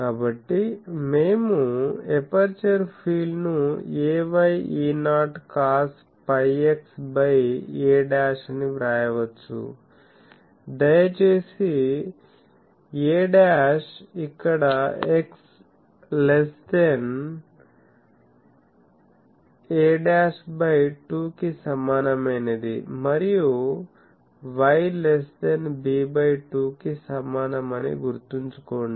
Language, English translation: Telugu, So, we can write that, we can write the aperture field that will be ay E 0 cos pi x by a dash, please remember this is a dash here this is for x less than equal to a dash by 2 and y less than equal to b by 2